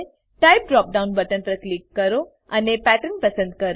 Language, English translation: Gujarati, Click on Type drop down button and select Pattern